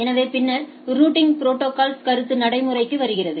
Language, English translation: Tamil, So, there are they are then the concept of routing protocols come into play